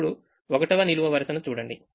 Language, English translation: Telugu, now look at the first column